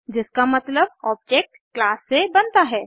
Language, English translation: Hindi, Which means an object is created from a class